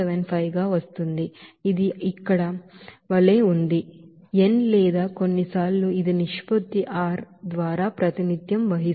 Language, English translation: Telugu, 75, this is as here, n or sometimes it is represented by r as ratio